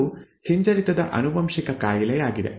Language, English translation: Kannada, That is recessively inherited disorder